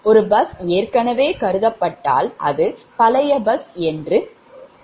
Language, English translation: Tamil, once a bus is already, consider means that bus bar will be an old bus, right